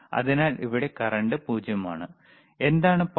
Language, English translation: Malayalam, So, it is current is 0, what is the power